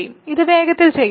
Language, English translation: Malayalam, So, quickly let me do this